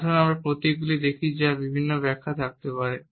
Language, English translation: Bengali, Let us look at the symbol which may have different interpretations